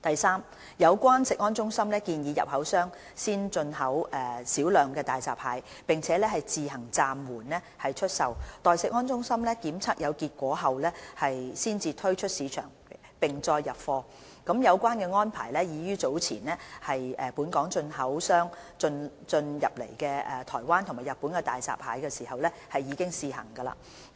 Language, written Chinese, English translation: Cantonese, 三就有關食安中心建議進口商先入口少量大閘蟹，並自行暫緩出售，待食安中心檢測有結果後才推出市場並再入貨，有關安排已於早前本港進口商入口來自台灣及日本的大閘蟹時試行。, 3 CFS has suggested the importers to consider importing a small quantity of hairy crabs initially and voluntarily stop selling them and not to order further quantities until CFS testing results are available . The arrangement has been trialled when local importers imported hairy crabs from Taiwan and Japan